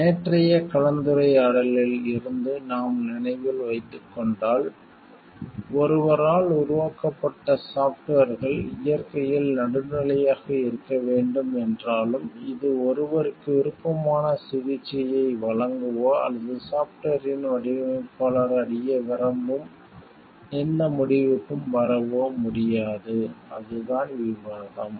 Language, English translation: Tamil, If we remember from yesterday s discussion, then softwares even if developed by someone needs to be neutral in nature, this cannot give any preferred treatment to someone, or arrive at any conclusion results which the designer of the software aims to achieve, that was the discussion that we had on software yesterday